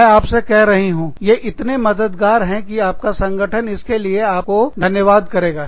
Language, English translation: Hindi, I am telling you, your organization will thank you, for it